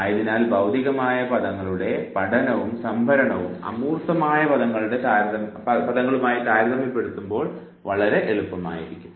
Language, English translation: Malayalam, Therefore, the learning of, the storage of, the concrete words would be much more easily compared to abstract words